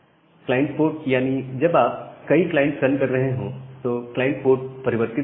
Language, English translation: Hindi, And a client port whenever we are running multiple client, the client code gets changed